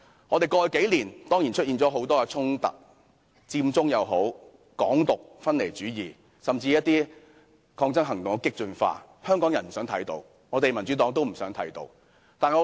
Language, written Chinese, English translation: Cantonese, 過去數年，本港出現了很多衝突：佔中、港獨、分離主義，甚至一些抗爭行動的激進化，這些是香港人不想看到，民主黨也不想看到的。, In the past few years there were many conflicts in Hong Kong including Occupy Central Hong Kong independence secessionism and even the radicalization of certain protests . The people of Hong Kong do not wish to see these neither does the Democratic Party